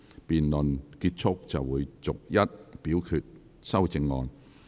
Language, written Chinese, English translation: Cantonese, 辯論結束後便會逐一表決修正案。, Upon conclusion of the debate the amendments will be put to vote one by one